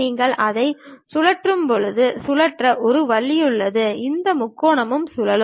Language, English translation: Tamil, There is an option to rotate when you rotate it this triad also rotates